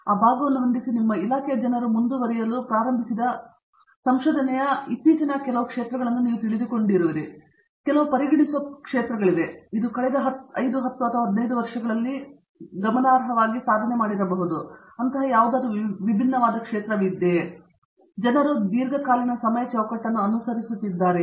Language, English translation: Kannada, But setting that side, are there areas of research that you would consider you know more recent areas of research that people in your department have started pursuing may be let us say in the last 5, 10 or 15 years which is may be different from what people have been pursuing over the longer time frame